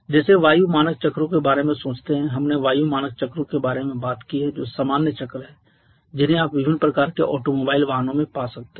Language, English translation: Hindi, Like think about the air standard cycles we have talked about the air standard cycles which are the common cycles you can find in different kind of automobile vehicles